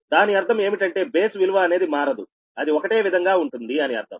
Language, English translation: Telugu, that means this base value we will not be change, it will remain same as it is right